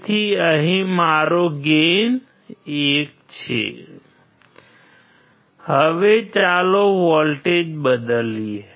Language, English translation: Gujarati, So, here my gain is 1 Now, let us change the voltage